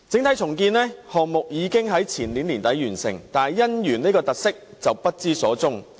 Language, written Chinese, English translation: Cantonese, 該項目已於前年年底完成，但"姻園"卻不知所終。, The project was completed at the end of the year before last but the Wedding City was missing